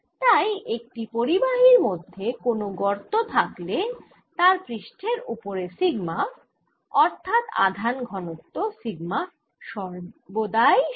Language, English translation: Bengali, so in a gravity made in a conductor, sigma on the surface of the gravity, sigma means surface charge is always zero